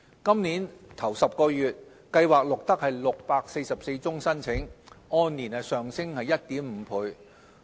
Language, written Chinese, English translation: Cantonese, 今年首10個月，計劃錄得644宗新申請，按年上升 1.5 倍。, In the first 10 months of this year the programme recorded 644 new applications increased by 1.5 times year on year